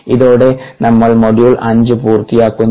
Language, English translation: Malayalam, ok, with this, we finish the five modules